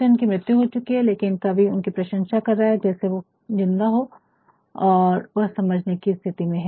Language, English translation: Hindi, Milton is dead, but then the poetspoet praising him as someone who is capable, who is alive and who is capable of understanding